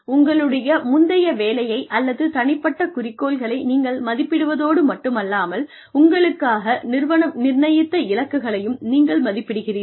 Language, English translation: Tamil, You are assessed, not only with your own previous work or with the goals, or in light of the goals, that the organization has set for you